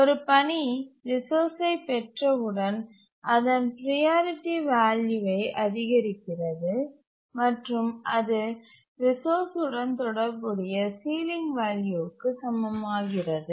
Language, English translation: Tamil, That as soon as a task acquires the resource, its priority, becomes equal to the ceiling value associated with the resource